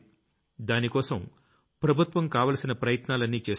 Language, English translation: Telugu, For this, the Government is taking all possible steps